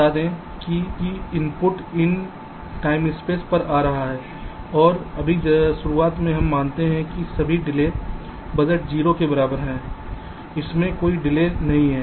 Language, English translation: Hindi, let say the inputs are arriving at these time steps and just initially we assume that all delay budgets are equal to zero